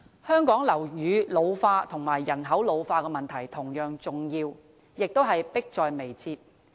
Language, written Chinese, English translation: Cantonese, 香港樓宇老化和人口老化的問題同樣重要，亦是迫在眉睫的。, The ageing of buildings like the ageing of population is a grave and pressing issue in Hong Kong